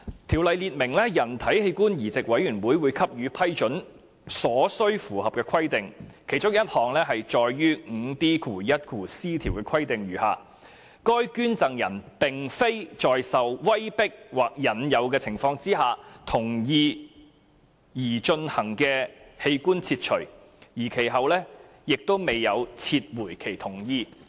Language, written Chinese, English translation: Cantonese, 《條例》列明人體器官移植委員會給予批准所需符合的規定，其中一項載於第 5D1c 條的規定如下：該捐贈人並非在受威迫或引誘的情況下同意擬進行的器官切除，而其後亦未有撤回其同意。, 465 sets out the general requirements to be satisfied when the Board decides whether to give its approval . One of the requirements is set out in section 5D1c which reads the donor has given his consent to the proposed organ removal without coercion or the offer of inducement and has not subsequently withdrawn his consent